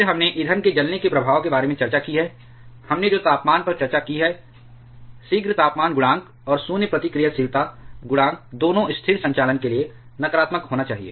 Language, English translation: Hindi, Then we have discussed about the effect of fuel burn up, the effect of temperature we have discussed, the prompt temperature coefficient and void reactivity coefficient both should be negative for stable operation